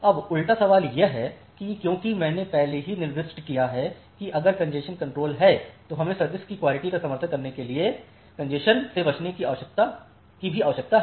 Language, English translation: Hindi, Now, the reverse question is also there as I have already mentioned that if congestion control is there we also require congestion avoidance to support quality of service